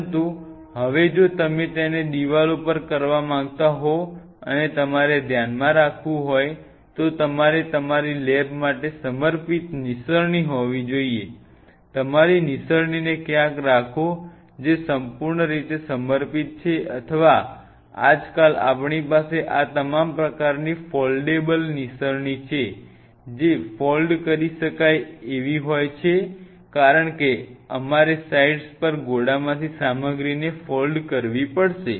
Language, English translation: Gujarati, But now if you want to do it on the walls and you have to keep in mind then you have to have a dedicated ladder for your lab, which is purely dedicated your keep the ladder somewhere or a now nowadays we have the all this kind of you know foldable ladders something you have to foldable lad because we have to fold down a stuff from the racks on the sites